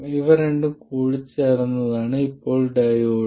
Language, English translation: Malayalam, Now the diode is a combination of these two